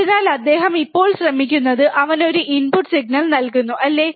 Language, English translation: Malayalam, So, what he is right now trying is, he is giving a input signal, right